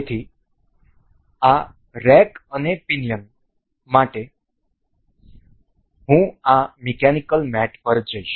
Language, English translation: Gujarati, So, for this rack and pinion I will go to this mechanical mate